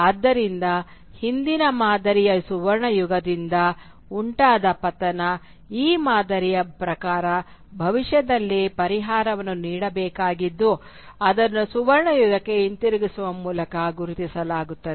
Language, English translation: Kannada, So the fall from the golden age of the past, according to this pattern, is to be remedied in the future which will be marked by a reversion back to the golden age